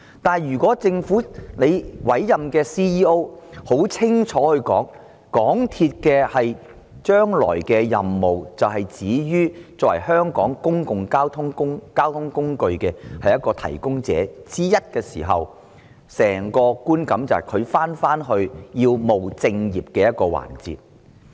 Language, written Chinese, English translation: Cantonese, 不過，如果政府委任的行政總裁很清楚地表示，港鐵公司將來的任務只限於作為香港公共交通工具的提供者之一時，整個觀感便是港鐵公司回到務正業的環節。, But if the Chief Executive Officer or CEO appointed by the Government can state explicitly that the future role of MTRCL will be confined to operating a public transport provider in Hong Kong then the whole impression will be that MTRCL has returned to its proper business